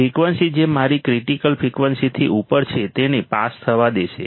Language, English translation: Gujarati, Frequency which is above my critical frequency is allowed to pass